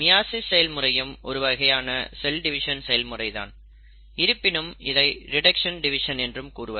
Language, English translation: Tamil, Meiosis is again a form of cell division, but it is also called as a reduction division